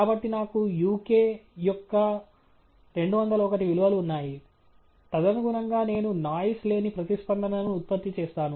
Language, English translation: Telugu, So, I have 201 values of uk, and correspondingly I will generate the noise free response